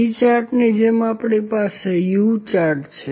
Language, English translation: Gujarati, Similar to C chart we have U chart